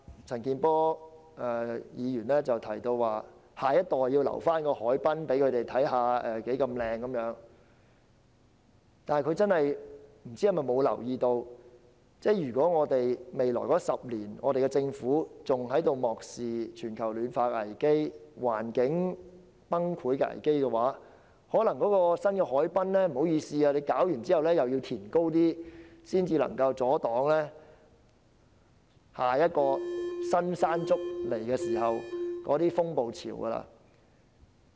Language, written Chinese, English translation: Cantonese, 陳健波議員提到，要讓下一代看看我們的海濱有多漂亮，但不知道他有否留意，如果政府在未來10年依然繼續漠視全球暖化和環境日趨惡劣的危機，可能屆時新落成的海濱長廊還要再加高，這樣才能阻擋日後"新山竹"所帶來的風暴潮。, Mr CHAN Kin - por has highlighted the need for the next generation to see our beautiful waterfronts but I wonder if he is aware that if the Government continues to ignore the risks of global warming and environmental degradation in the next 10 years the parapets of the newly completed waterfront promenades may have to be further enhanced in order to resist the storm surges brought about by another typhoon Mangkhut in the future